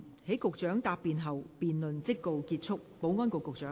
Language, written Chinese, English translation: Cantonese, 在局長答辯後，辯論即告結束。, The debate will come to a close after the Secretary has replied